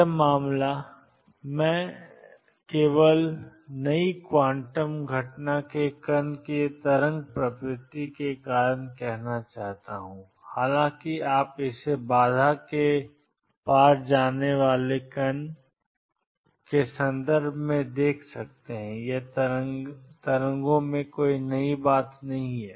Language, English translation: Hindi, This case, all I want to say because of the wave nature of the particle in new quantum phenomena come although you are seeing it in the context of a particle going across the barrier it is nothing new in waves